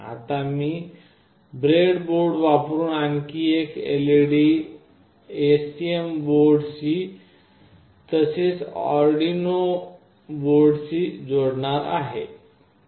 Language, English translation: Marathi, Now I will be connecting another LED using breadboard with the STM board, as well as with the Arduino board